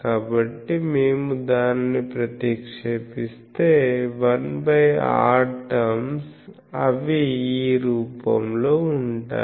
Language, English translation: Telugu, So, if we put that we will see that 1 by r terms they will be of this form